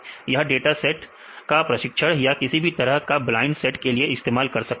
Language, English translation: Hindi, So, you have the data sets for the training or whatever the blind data sets